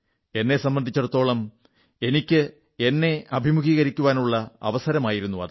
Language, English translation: Malayalam, For me, it was an opportunity to meet myself